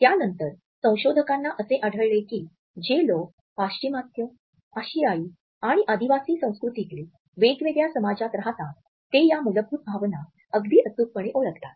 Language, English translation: Marathi, And the researchers later on found that people who lived in different societies in Western, Asian and Tribal cultures were very accurate in recognizing these basic emotions